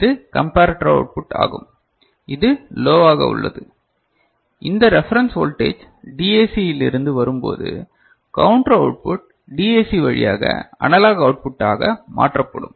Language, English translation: Tamil, And this is the comparator output which is remaining low right, when this reference voltage coming from DAC the counter converted, counter output converted to analog output right through a DAC, ok